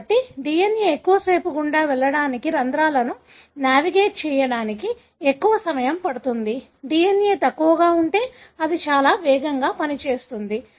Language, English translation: Telugu, So, longer the DNA, it is going to take more time to pass through, navigate the pore; shorter the DNA, it will do relatively faster